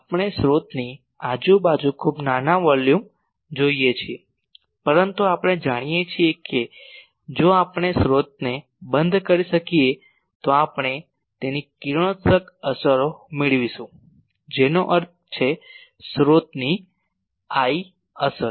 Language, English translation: Gujarati, We look at a very small volume around the source we are not exactly r, but we know that very near to r if we can enclose the source we will get its radiation effects that means, I effect of the source